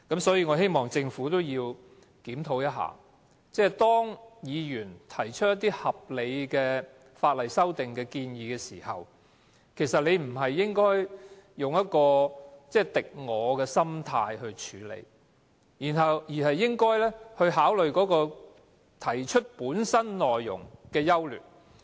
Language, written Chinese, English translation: Cantonese, 所以，我希望政府檢討，當議員提出一些合理的法例修訂建議時，當局不應該用一種"敵我"的心態來處理，而是應該考慮修訂建議本身內容的優劣。, I therefore hope that the Government can reconsider its attitude . When Members put forward any sensible legislative amendments the authorities should not treat the amendments as coming from their enemies . Rather they should consider the pros and cons of the amendment proposals themselves